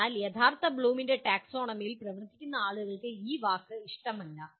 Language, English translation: Malayalam, So people who work with original Bloom’s taxonomy, they do not like this word